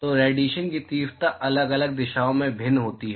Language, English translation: Hindi, So, the radiation intensity is different in different direction